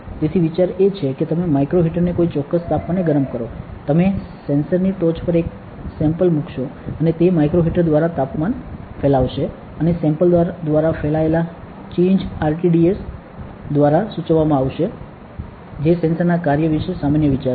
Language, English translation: Gujarati, The, so the idea is that you heat the micro heater to a particular temperature, you put a sample on top of the sensor and that through the micro heater that temperature will spread right, and that change in spread through the sample will be dictated by RTDS that is a general idea about the working of the sensor